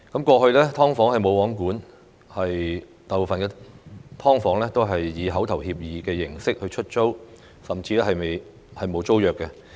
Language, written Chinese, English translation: Cantonese, 過去"劏房""無皇管"，大部分"劏房"以口頭協議的形式出租，甚至沒有租約。, In the past SDUs have been under no regulation with most of them having been rented out on verbal agreements or even without tenancy agreements